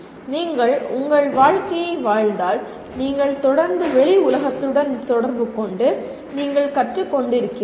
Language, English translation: Tamil, Just if you live your life possibly you are constantly interacting with the outside world and you are leaning